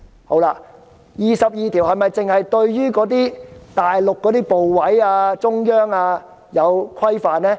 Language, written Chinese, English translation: Cantonese, 第二十二條是否只規限大陸部委或中央官員？, Does Article 22 only restrain officials in the Mainland ministries or Central Authorities?